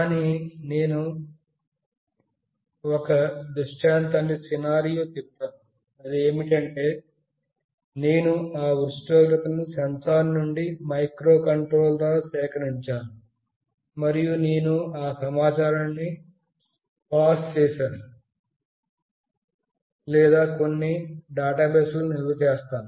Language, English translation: Telugu, But, let us say a scenario where I gather that temperature from the sensor through microcontroller, and I pass that information or store that information in some database